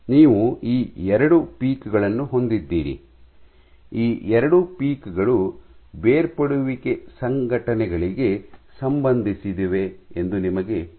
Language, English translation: Kannada, And you have these 2 peaks now you know that these 2 peaks correspond to detachment events